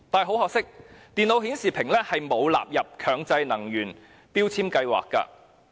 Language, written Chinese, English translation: Cantonese, 很可惜，電腦顯示屏仍未被納入強制性標籤計劃內。, It is a great pity that computer monitors are not covered under MEELS